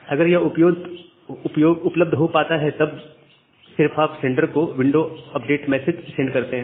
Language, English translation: Hindi, If that is become available then only you send the window update message to the sender